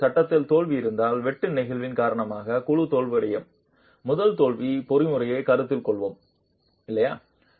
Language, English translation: Tamil, Now if there is a failure in the panel, let's consider a first failure mechanism where the panel is failing due to shear sliding